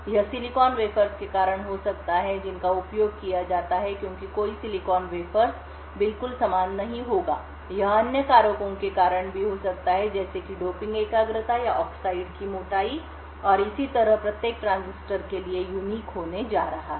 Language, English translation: Hindi, This could be due to silicon wafers that are used because no silicon wafers would be exactly identical, it could also, be due to other factors such as the doping concentration or the oxide thickness and so on which is going to be unique for each transistor